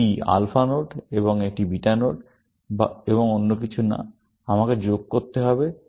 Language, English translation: Bengali, This is the alpha node and this is the beta node, and nothing else, I have to do